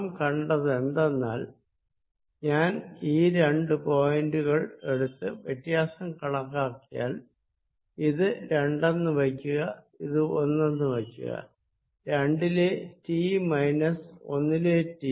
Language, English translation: Malayalam, that if i take two points and calculate the difference, let's say this is two, this is one t at two minus t at one